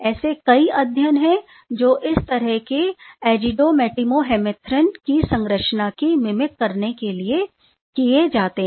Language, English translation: Hindi, There are number of studies that is done towards mimicking such azido metmyohemerythrin structure